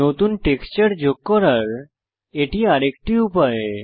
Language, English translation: Bengali, So this is another way to add a new texture